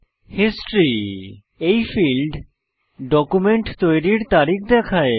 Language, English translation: Bengali, History – This field shows the Creation date of the document